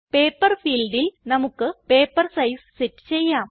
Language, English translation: Malayalam, In the Paper field, we can set the default paper size